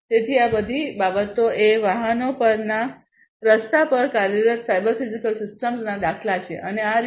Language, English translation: Gujarati, So, all these things are examples of cyber physical systems operating on the road on the vehicles and so on